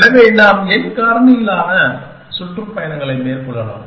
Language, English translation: Tamil, So, we can have n factorial tours